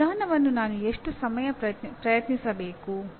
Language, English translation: Kannada, How long should I try this approach